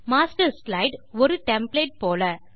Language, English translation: Tamil, The Master slide is like a template